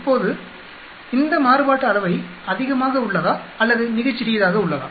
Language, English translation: Tamil, Now is this variance too much or too little